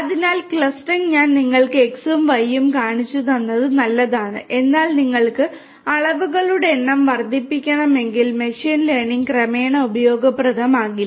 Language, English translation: Malayalam, So, clustering I have shown you x and y that is fine, but if you want to increase the number of dimensions then machine learning will gradually become less useful